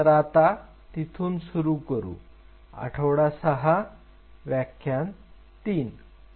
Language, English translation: Marathi, So, let us pick it up from there, week 6 a lecture 3